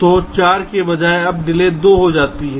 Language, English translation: Hindi, so instead of four, the delay now becomes two